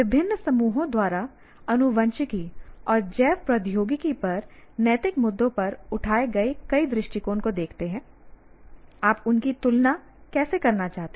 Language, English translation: Hindi, So here, given multiple stands taken on ethical issues on genetics and biotechnology by different groups